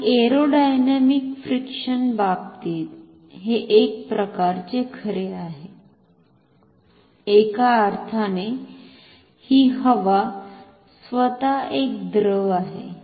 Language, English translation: Marathi, And in case of aerodynamic friction, this is kind of true, in a sense that anyway this air itself is a fluid